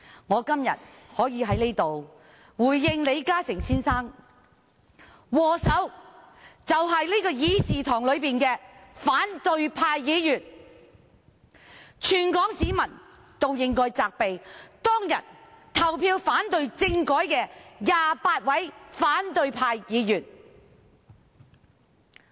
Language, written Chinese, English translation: Cantonese, 我今天在此回應李嘉誠先生，禍首便是這個議事廳內的反對派議員，全港市民也應該責備當日投票反對政改的28名反對派議員。, I am going to respond to Mr LI Ka - shing here today the culprits are those Members from the opposition camp in this Chamber . All Hong Kong people should also blame the 28 opposition Members who voted against the constitutional reform package back then